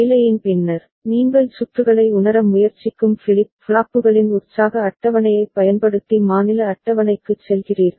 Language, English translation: Tamil, And after the assignment, you are going for state table using the excitation table of the flip flops with which you are trying to realize the circuit